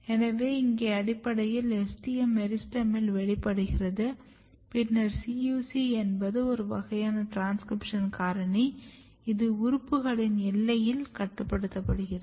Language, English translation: Tamil, If you look, this case; so, here is basically STM expression, STM express in the meristem then CUC is a kind of transcription factor which regulates at the boundary of the organs